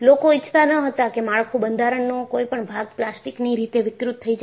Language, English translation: Gujarati, People did not want to have the structure, any part of the structure, to become plastically deformed